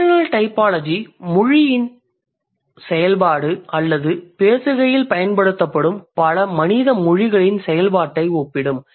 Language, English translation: Tamil, And functional typology would primarily talk about or would primarily compare the function of language or the function of multiple human languages which are used in the discourse